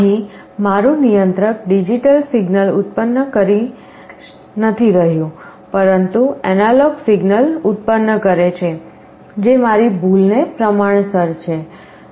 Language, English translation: Gujarati, Here my controller is not generating a digital signal, but is generating an analog signal is proportional to my error